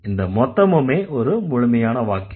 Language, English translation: Tamil, So, that is also full sentence